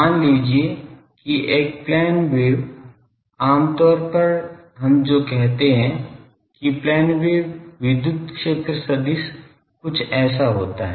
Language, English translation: Hindi, Suppose a plane wave generally what we say that the plane wave electric field vector is something like this